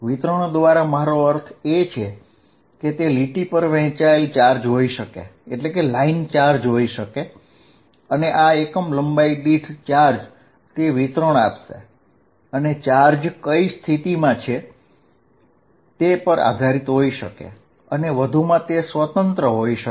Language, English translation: Gujarati, By distribution I mean it could be a charge distributed over a line, and this I will say charge per unit length will give me the distribution that charge could be dependent on which position and moreover it could be independent